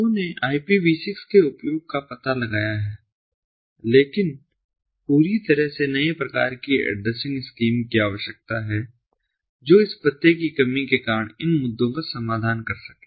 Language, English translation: Hindi, people have explore the use of ipv six, but what is required is to come up with a completely new type of addressing scheme which can take care of these issues, the addressing issues, because of this address crunch